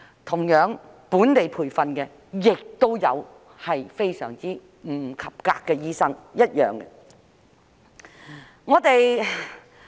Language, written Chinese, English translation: Cantonese, 同樣，本地培訓的醫生亦有不及格，是對等的。, Likewise there are also locally trained doctors who fail in the examination